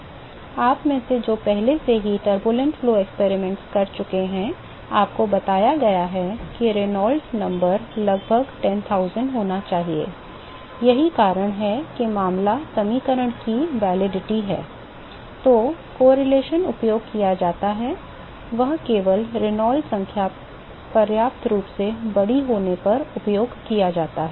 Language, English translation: Hindi, Those of you who have already performed the turbulent flow experiments, you been told that the Reynolds number should be about 10000, the reason why that is the case is the validity of the equation, the correlation that is used is only when the Reynolds number is sufficiently large